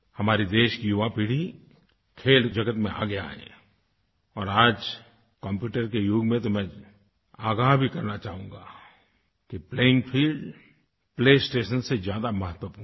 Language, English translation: Hindi, The young generation of our country should come forward in the world of sports and in today's computer era I would like to alert you to the fact that the playing field is far more important than the play station